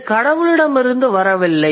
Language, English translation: Tamil, It hasn't come to us from the God